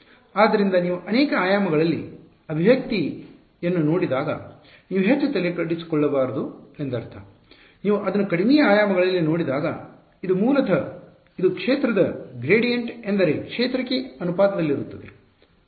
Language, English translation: Kannada, So, do not get I mean you should not get overwhelmed when you see an expression in multiple dimensions, when you look at it in lower dimensions this is basically what it is gradient of field is proportional to the field itself